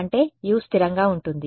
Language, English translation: Telugu, But which is U is not constant